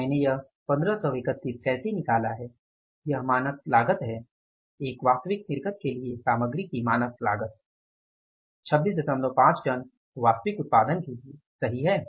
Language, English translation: Hindi, So, how I have done this 153 is that is standard cost, standard cost of material for an actual output for an actual output of how many 26